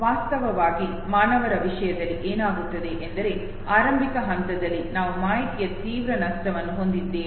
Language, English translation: Kannada, That actually what happens in the case of human beings is that in the initial phase we have a drastic loss of information